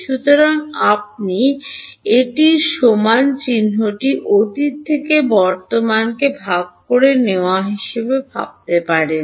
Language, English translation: Bengali, So, you can think of this as this equal to sign is sort of dividing the present from the past